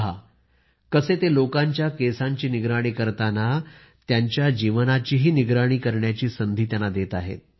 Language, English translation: Marathi, See how he dresses people's hair, he gives them an opportunity to dress up their lives too